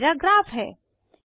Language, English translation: Hindi, Here is my graph